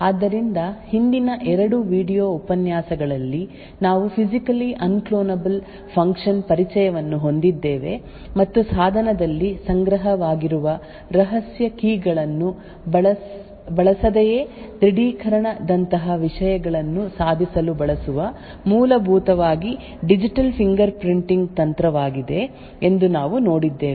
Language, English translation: Kannada, So in the previous 2 video lectures we had an introduction to physically unclonable functions and we had seen that it is a essentially a technique digital fingerprinting technique that is used to achieve things like authentication without using secret keys stored in a device